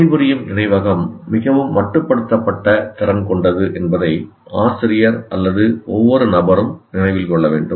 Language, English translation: Tamil, See, the only thing that we need to remember about working memory, it is a very limited capacity